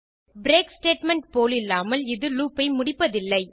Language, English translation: Tamil, Unlike the break statement, however, it does not exit the loop